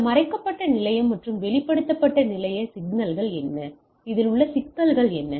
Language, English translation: Tamil, So, what is this hidden station and exposed station problem